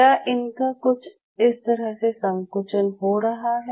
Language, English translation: Hindi, Are the contracting like that